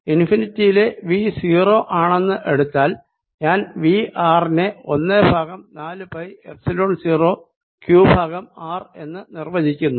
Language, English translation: Malayalam, so what we learn is that v at infinity plus v at point r is equal to one over four pi epsilon zero, q over r